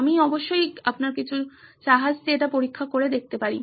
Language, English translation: Bengali, I can certainly test this with some of your ships